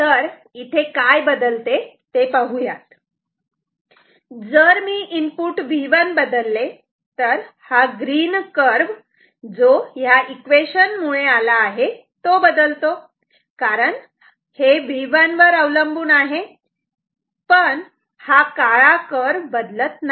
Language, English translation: Marathi, So, what will change here let us see, if I change V 1 then this green curve which is given by this equation is going to change, because it depends on V 1, but this black curve is not going to change ok